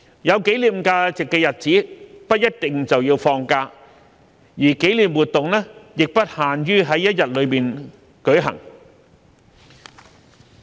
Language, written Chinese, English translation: Cantonese, 有紀念價值的日子，不一定就要放假，而紀念活動亦不限於在一日內舉行。, We do not need to take holidays on memorable days and the organization of commemorative activities should not be confined to one single day